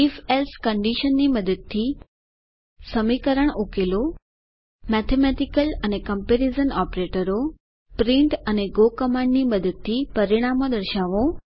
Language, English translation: Gujarati, Solve an equation using if else condition Mathematical and comparision operators Display the results using print and go commands